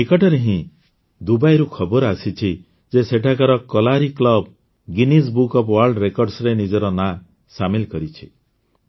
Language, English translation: Odia, Recently news came in from Dubai that the Kalari club there has registered its name in the Guinness Book of World Records